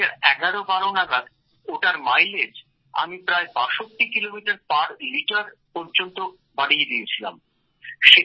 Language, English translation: Bengali, Sometime in 201112, I managed to increase the mileage by about 62 kilometres per liter